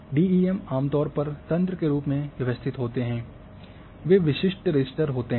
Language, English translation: Hindi, And DEM are commonly they are organized in the grid form they are typical raster